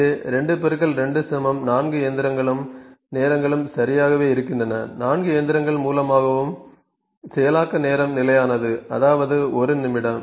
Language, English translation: Tamil, So, 2 into 2 there 4 machines and the times are exactly same processing time through all the 4 machine is constant that is 1 minute ok